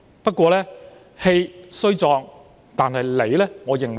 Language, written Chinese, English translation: Cantonese, 不過，我認為他氣雖壯但理不直。, However despite his full face of righteousness I do not think he has any good reasons